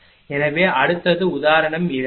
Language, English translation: Tamil, So, next one is say example 2